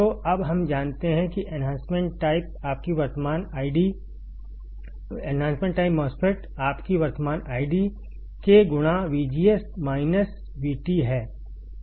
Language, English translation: Hindi, So, now, we know that enhancement type MOSFET, your current id is K times V G S minus V T whole square